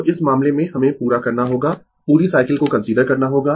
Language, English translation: Hindi, So, in in this case, we have to complete the you have to consider the whole cycle